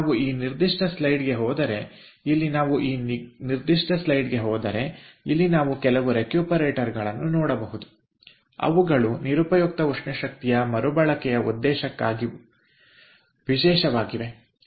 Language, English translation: Kannada, if we go ah to this particular slide here, if we go to this particular slide, then here we can see certain recuperators which are special for waste heat recovery purpose